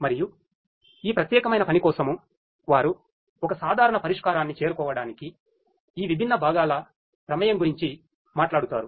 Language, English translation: Telugu, And this particular work they talk about the involvement of all of these different components to arrive at a common solution